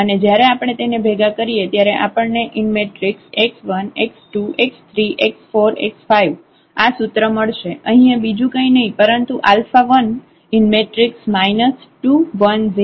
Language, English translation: Gujarati, And when we combine we got this equation here that x 1 x 2 x 3 x 4 are nothing, but alpha 1 times this minus 2 1 0 0 0 and alpha 2 times this vector